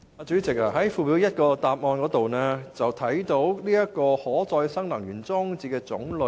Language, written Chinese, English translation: Cantonese, 主席，主體答覆的附表一，列出了可再生能源裝置的種類。, President RE systems of different types are set out in Annex 1 of the main reply